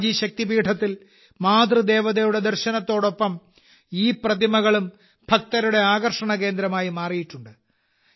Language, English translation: Malayalam, Along with the darshan of Mother Goddess at Amba Ji Shakti Peeth, these statues have also become the center of attraction for the devotees